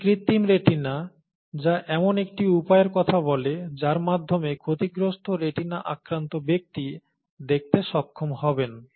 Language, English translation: Bengali, This is artificial retina which talks about a means by which people with damaged retina could be, would be able to see